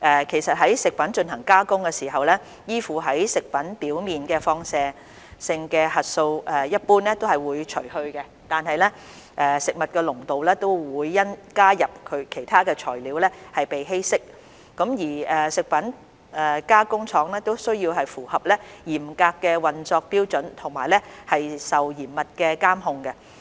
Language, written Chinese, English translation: Cantonese, 其實，在食品進行加工的時候，依附在食品表面的放射性核素一般會被除去，有關物質的濃度會因加入其他材料而稀釋，而食品加工廠亦需要符合嚴格的運作標準和受嚴密的監控。, In fact in the course of food processing the radionuclides attached to the food surface will usually be removed and the concentration of the substances will be diluted with the addition of other ingredients . Besides food processing plants are required to meet stringent operation standards and subject to rigorous control and surveillance